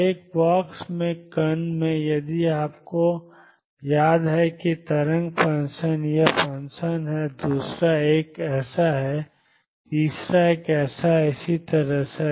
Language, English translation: Hindi, So, in the particle in a box if you recall wave function is this function second one is like this, third one is like this and so on